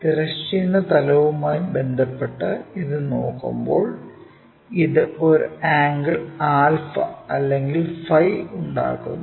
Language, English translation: Malayalam, And, this one when we are looking at that with respect to the horizontal plane it makes an angle alpha or phi